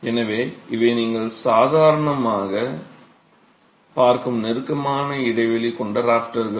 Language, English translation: Tamil, So, these are closely spaced rafters that you would normally see